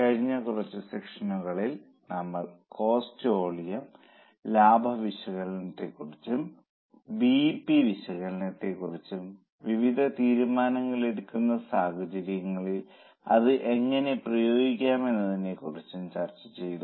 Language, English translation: Malayalam, In last few sessions, we are discussing cost volume profit analysis then BP analysis and how it can be applied in various decision making scenarios